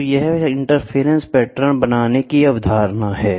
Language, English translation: Hindi, So, this is the concept for creating interference patterns